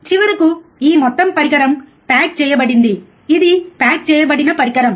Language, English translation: Telugu, And finally, this whole device is packaged, this is a packaged device right